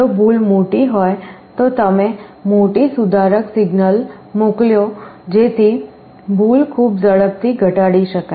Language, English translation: Gujarati, If the error is large you send a larger corrective signal so that that the error can be reduced very quickly